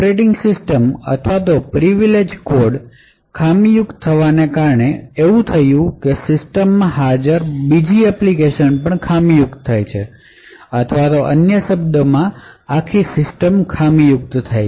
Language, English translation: Gujarati, The result of the OS or the privileged code getting compromised is that all other applications present in that system will also, get compromised, in other word the entire system is compromised